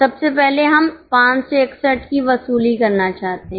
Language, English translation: Hindi, First of all, we want to recover 561